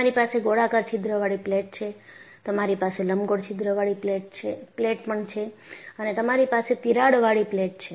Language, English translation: Gujarati, You have a plate with a circular hole, you have a plate with an elliptical hole and you have a plate with a crack